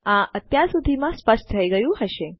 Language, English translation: Gujarati, That should be pretty clear by now